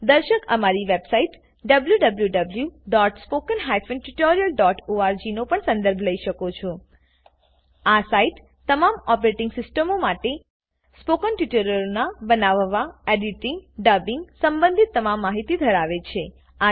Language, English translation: Gujarati, Viewers may also want to refer to our site www.spoken tutorial.org This site contains all information related to the making, editing, dubbing of spoken tutorials for all operating systems